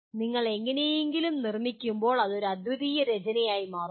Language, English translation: Malayalam, When you are producing somehow it becomes a unique piece